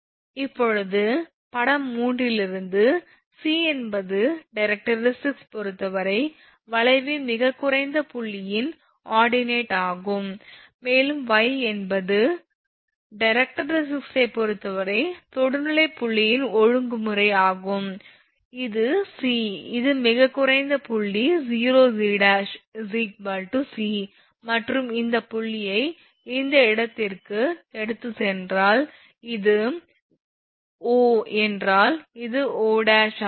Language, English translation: Tamil, Now, c is the now from figure 3, it is c is the ordinate of the lowest point of the curve with respect to the directrix, and y is the ordinate of the point of tangency with respect to the directrix; that means, this is the c, this is the lowest point O O dash is equal to c and this from here actually if you take this this point from this point to this point suppose if it is O this is O dash